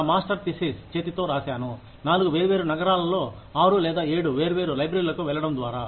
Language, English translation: Telugu, I hand wrote research papers, by going to 6 or 7 different libraries, in 4 different cities